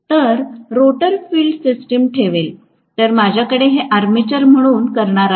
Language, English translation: Marathi, So, the rotor will house the field system, whereas I am going to have these as the armature